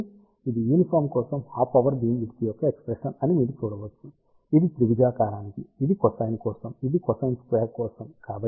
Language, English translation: Telugu, So, you can see that this is the expression for half power beamwidth for uniform, this is for triangular, this is for cosine, this is for cosine squared